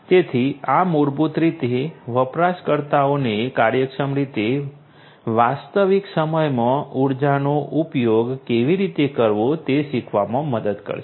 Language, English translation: Gujarati, So, this basically will help the users to learn how to use the energy in real time in an efficient manner